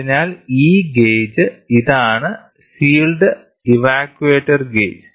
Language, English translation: Malayalam, So, this gauge is this is the sealed evacuated gauge